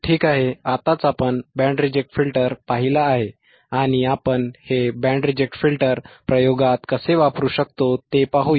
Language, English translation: Marathi, Alright, so, just now we have seen band reject filter right and let us see how we can use this band reject filter by in an experiment in an experiment